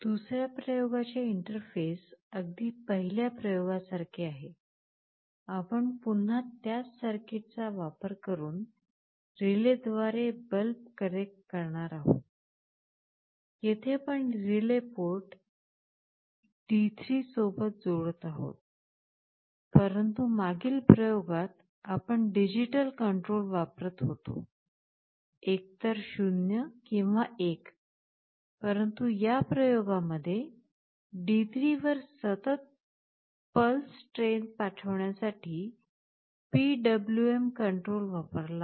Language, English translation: Marathi, Coming to the second experiment, the interface is very similar, we are again connecting the bulb through the relay using the same circuit, we are still connecting the relay to the port D3, but in the previous experiment we were using digital control, either 0 or 1, but in this experiments were using PWM control to send a continuous pulse train on D3